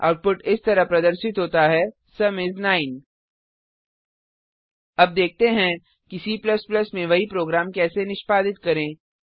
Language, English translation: Hindi, The output is displayed as Sum is 9 Now let us see how to execute the same program in C++